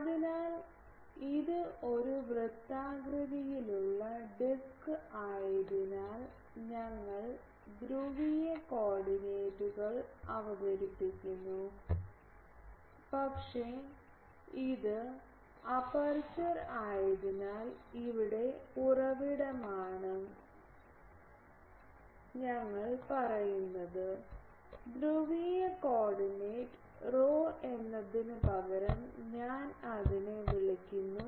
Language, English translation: Malayalam, So, since this is a circular disc we introduce the polar coordinates, but since it is the aperture is here source we say the polar coordinate is rho instead of phi I call it phi dash